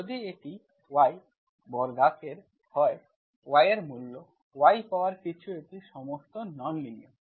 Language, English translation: Bengali, If it is y square, root of y, y Power anything, it is all non linear